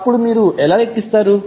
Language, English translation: Telugu, How you will calculate